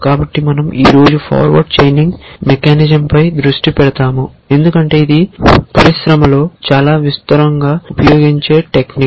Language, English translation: Telugu, So, we will be focusing today on forward chaining mechanism because it is a very widely used technique in the industry